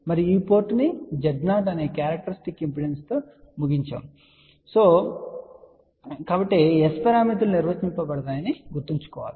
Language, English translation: Telugu, And remember S parameters are defined when this port is terminated into the characteristic impedance which is Z 0